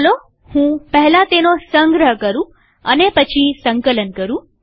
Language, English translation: Gujarati, Let me save it first and then compile it